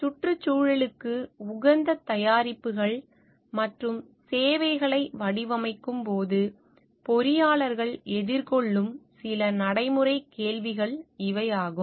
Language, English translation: Tamil, These are some of the practical questions that engineers may face while designing environmentally friendly products and services